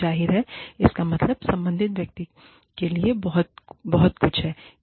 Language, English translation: Hindi, Obviously, this means, a lot to the concerned person